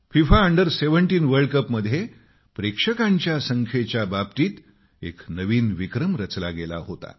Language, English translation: Marathi, FIFA Under 17 World Cup had created a record in terms of the number of viewers on the ground